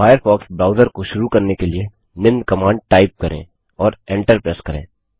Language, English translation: Hindi, To launch the Firefox browser, type the following command./firefox And press the Enter key